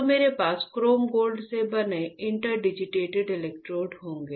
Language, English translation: Hindi, So, I will have my interdigitated electrodes made up of chrome gold